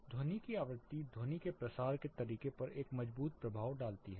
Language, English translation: Hindi, The frequency of the sound has a strong impact on the way the sound propagates